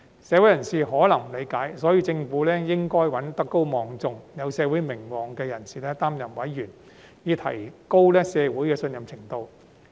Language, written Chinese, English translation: Cantonese, 社會人士可能不理解，所以政府應該找德高望重、有社會名望的人士擔任委員，以提高社會的信任程度。, However members of the public may not understand this . For this reason the Government should appoint renowned and highly respected figures in the society as members with a view to boosting public confidence